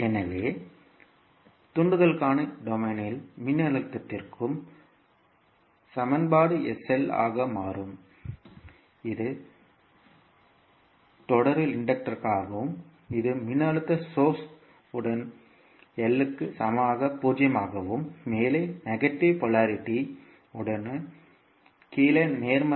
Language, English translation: Tamil, So, the equation for voltage in s domain for the inductor will become sl that is the inductor in series with voltage source equal to l at l into I at 0 and with negative polarity on top and positive in the bottom